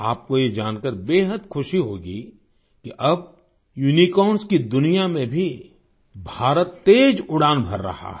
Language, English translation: Hindi, You will be very happy to know that now India is flying high even in the world of Unicorns